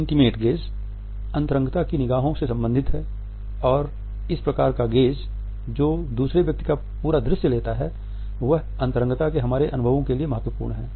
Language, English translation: Hindi, The intimate gaze is intimate and this type of a gaze which takes the other person incomplete visual is crucial to our experiences of intimacy